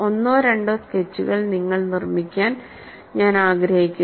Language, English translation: Malayalam, And I would like you to make one or two sketches; that is essential